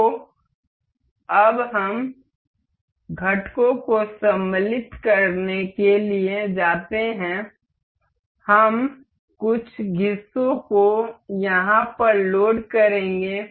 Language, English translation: Hindi, So, now, we go to insert components, we will load some of the parts over here